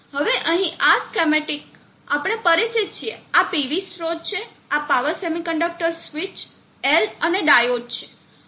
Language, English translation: Gujarati, Now this schematic here, we are familiar with this is the PV source, this is the power semiconductor switch L and the diode